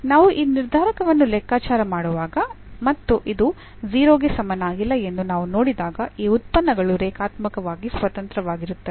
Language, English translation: Kannada, So, when we compute this determinant and we see that this is not equal to 0, then these functions are linearly independent